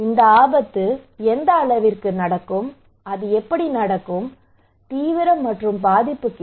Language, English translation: Tamil, What extent this risk will happen how it will happen the severity and vulnerability question okay